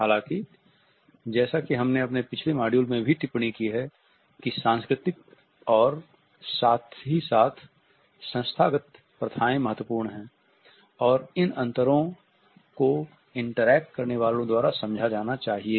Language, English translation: Hindi, However, as we have commented in our previous module also, the cultural as well as institutional practices are significant and these differences should be understood by the interactants